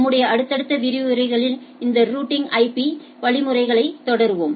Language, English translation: Tamil, We will continue these routing IP routing mechanisms in our subsequent lectures